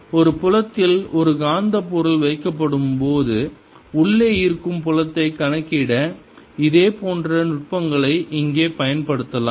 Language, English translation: Tamil, similar techniques can be used here to calculate the field inside when a magnetic material is put in a field